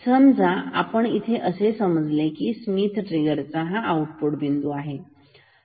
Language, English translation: Marathi, Say, let us assume here at this point the output of this Schmitt trigger